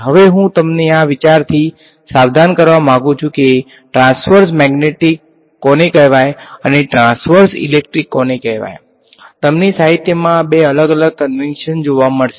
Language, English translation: Gujarati, Now, one thing I want to caution you this idea of what is called transverse magnetic and what is called transverse electric, you will find two different conventions in the literature